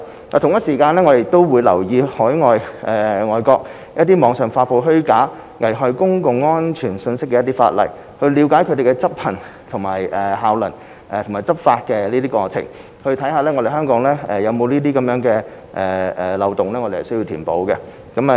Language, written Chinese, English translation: Cantonese, 我們亦會留意外國網上發布虛假及危害公共安全信息的一些法例，了解其效能及執法過程，看看香港有否漏洞需要填補。, We have also been keeping in view legislations overseas relating to the online publication of information that is false or may prejudice public safety . We will observe their effectiveness and enforcement process to see if there are loopholes to be plugged in Hong Kong